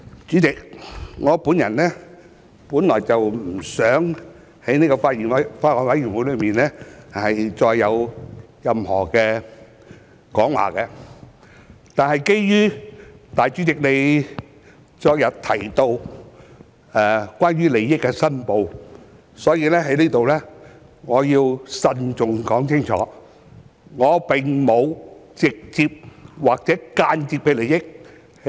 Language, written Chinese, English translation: Cantonese, 主席，我本來不想就法案委員會再作任何發言，但基於主席昨天提到利益申報，故此我要在此慎重地清楚說明，我就《條例草案》並無直接或間接利益。, President at first I did not intend to make any further remarks on the Bills Committee but since the President mentioned the declaration of interest yesterday I have to state clearly and solemnly that I have no direct or indirect interest in the Bill